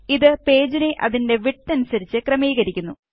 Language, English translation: Malayalam, This fits the page to its width